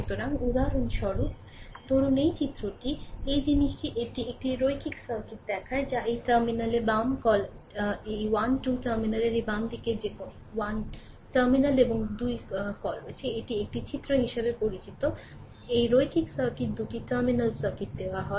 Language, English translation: Bengali, So, for example, suppose this figure this thing it shows a linear circuit that is circuit to the your what you call left of this terminal this side this side left of the terminal this 1 2, this is terminal 1 and 2 in figure your what you call is known as this is a figure, this linear circuit is given two terminal circuit